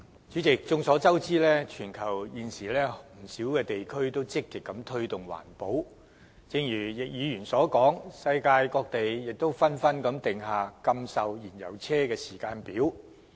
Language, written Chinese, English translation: Cantonese, 主席，眾所周知，全球現時不少地區均積極推動環保，正如易議員所說，世界各地亦紛紛訂下禁售燃油車的時間表。, President as we all know many places in the world are now actively promoting environmental protection and as mentioned by Mr YICK a timetable has been drawn up for the prohibition of sale of fuel - engined vehicles in different places all over the world